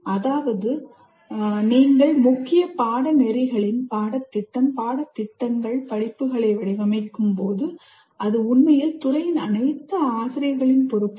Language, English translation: Tamil, That means when you are designing the curriculum or syllabus or courses of your core courses, it is actually the responsibility for all the faculty of the department